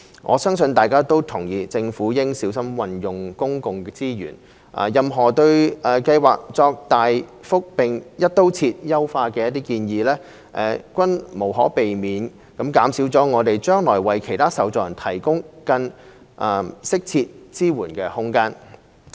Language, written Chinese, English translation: Cantonese, 我相信大家都同意，政府應小心運用公共資源，任何對計劃作大幅並"一刀切"優化的建議，均無可避免地減少我們將來為其他受助人提供更適切支援的空間。, I believe Members will agree that the Government should utilize public resources prudently . Any proposal advocating a dramatic and across - the - board enhancement of the Scheme will inevitably reduce our future capacity for providing other recipients with more appropriate assistance